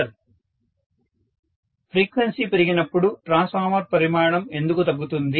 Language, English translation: Telugu, [Professor student conversation starts] When frequency increases, why would the transformer size decrease